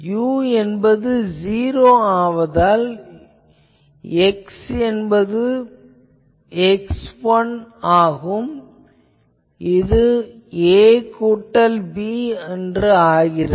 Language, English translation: Tamil, Since, at u is equal to 0, since at u is equal to 0, we have x is equal to x 1 is equal to a plus b